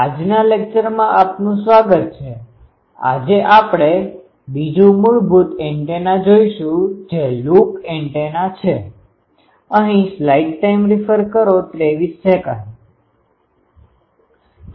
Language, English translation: Gujarati, Welcome to today's lecture today will see another basic antenna which is a loop antenna